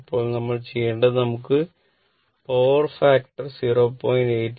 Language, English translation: Malayalam, 8 but now we want to that power factor to 0